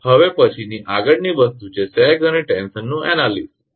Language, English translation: Gujarati, Next now next thing is that analysis of sag and tension